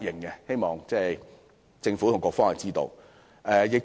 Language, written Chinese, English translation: Cantonese, 我希望政府和局方知道這一點。, I hope the Government and the Bureau know about this